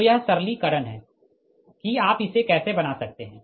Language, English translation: Hindi, so this is the simplification, that, how you can make it